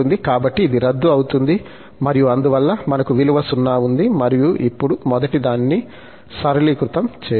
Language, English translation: Telugu, So, this gets cancel and therefore, we have this value 0 and we can simplify now, the first one